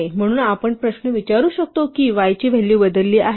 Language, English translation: Marathi, So, the question we would like to ask is has the value of y changed